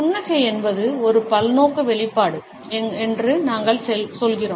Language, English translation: Tamil, At best we say that is smile is a multipurpose expression